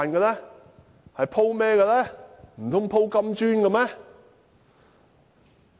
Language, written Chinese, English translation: Cantonese, 難道是鋪金磚嗎？, Is it plastered with gold tiles?